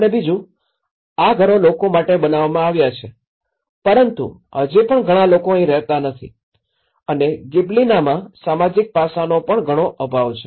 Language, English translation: Gujarati, The second one is actually, is it is the houses which they are made for the people but still not many people are living here and not much of social aspect is there in Gibellina